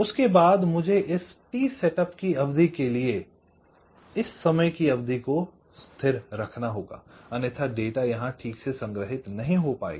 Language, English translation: Hindi, after that i must keep this value stable, minimum for this t setup amount of time, otherwise it not getting stored properly here